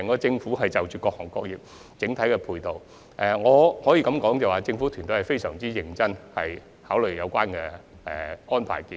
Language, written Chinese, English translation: Cantonese, 政府希望為各行各業提供整體的配套，因此會非常認真考慮有關的安排建議。, With a view to providing a comprehensive set of supportive measures for all industries the Government will consider the proposed arrangement very carefully